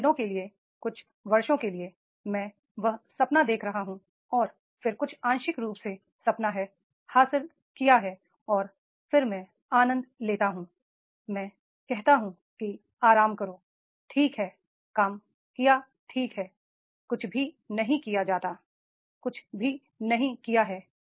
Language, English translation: Hindi, For few days, for few years, I am having that dream and then some partially the dream has been achieved and then I enjoy, I say relax, okay, fine, now the work, nothing is done